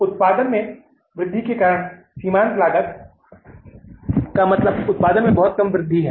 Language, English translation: Hindi, Marginal cost means little increase in the cost because of the increase in the production